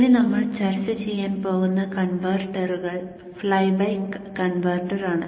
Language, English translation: Malayalam, You have the switch here with the flyback converter